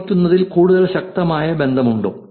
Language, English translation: Malayalam, Is there is a stronger relationship that happens